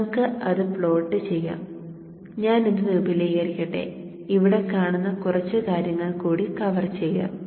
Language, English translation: Malayalam, So let us plot that, let me expand this and you'll see that and let me also probably see just few